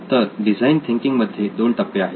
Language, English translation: Marathi, So there are two phases in design thinking